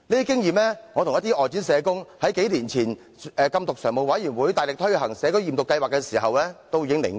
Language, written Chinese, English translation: Cantonese, 這是我與一些外展社工數年前在禁毒常務委員會大力推行社區驗毒計劃時汲取的經驗。, This is the experience some outreaching social workers and I gained in the vigorous implementation of the community drug testing scheme by the Action Committee Against Narcotics a few years ago